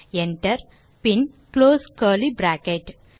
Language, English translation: Tamil, Enter and close curly bracket